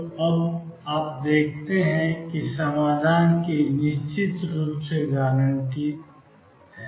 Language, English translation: Hindi, So, you see now one solution is definitely guaranteed